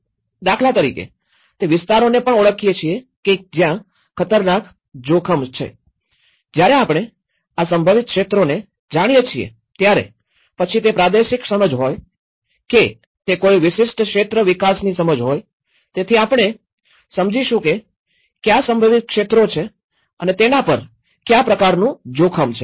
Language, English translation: Gujarati, Like for instance, we also identify the areas that are risk from hazards, when we know that these are the potential areas, whether it is a regional level understanding, whether it is a particular area development understanding, so we will understand, which are the potential areas that will be subjected to what type of risk